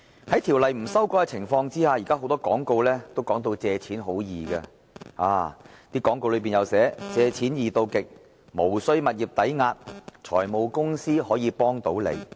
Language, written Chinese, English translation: Cantonese, 在條例未有修改的情況下，現時很多廣告也把借錢說成是很容易的事，廣告當中更會寫明"借錢易到極"、"無須物業抵押"、"財務公司可以幫到你"。, Given that the Ordinance is yet to be amended many advertisements are now depicting borrowing money as a piece of cake . They will even explicitly state to the effect that it is extremely easy to raise a loan there is no need for property mortgage and the finance company can help you